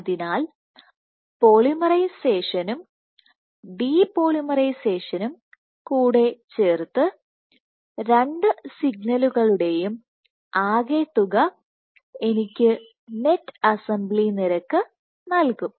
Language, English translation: Malayalam, So, polymerization plus depolymerization, the sum of the two signals will give me the net assembly rate